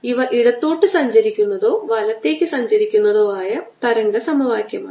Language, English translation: Malayalam, this are valid wave equation for wave travelling to the left or travelling to the right